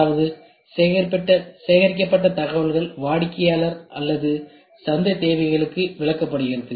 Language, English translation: Tamil, That is, the information gathered is interpreted into customer or market needs